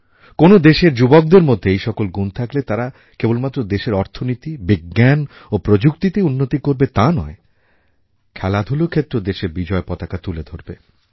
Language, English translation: Bengali, If the youth of a country possess these qualities, that country will progress not only in areas such as Economy and Science & Technology but also bring laurels home in the field of sports